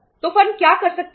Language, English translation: Hindi, So what the firm can do